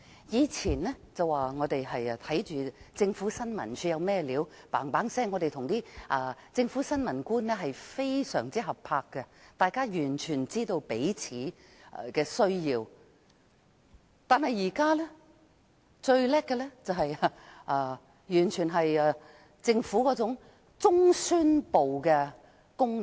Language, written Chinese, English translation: Cantonese, 以前，記者會留意新聞處提供的資料，並與新聞處的官員非常合拍，大家完全知道彼此的需要，但現時政府只發揮中央宣傳部的功能。, In the past reporters will keep track of the information provided by ISD . They worked extremely well with government officials in ISD and knew each others needs full well . Yet the Government is only performing the function of a central propaganda department nowadays